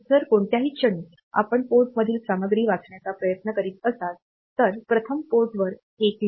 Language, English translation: Marathi, So, any point you are trying to read the content of a port; first you wrote 1 to the port